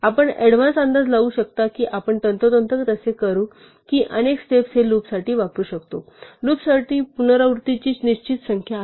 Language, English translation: Marathi, We could predict in advance that we would do precisely that many steps and so we could use this for loop, so for loop has a fixed number of repetitions